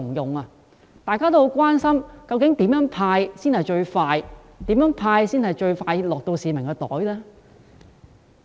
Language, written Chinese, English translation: Cantonese, 因此，大家很關心究竟怎樣"派錢"才能最快落入市民的口袋？, In that case we are very concerned about how members of the public can pocket the money at the earliest possible time